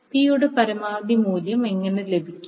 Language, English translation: Malayalam, So, how to get the value of maximum P